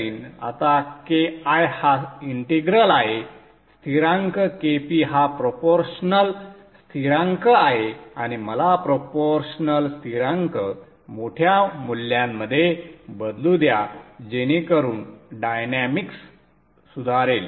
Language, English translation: Marathi, Now KI is the integral constant KP is the proportional constant and let me change the proportional constant to a larger value so that the dynamics is improved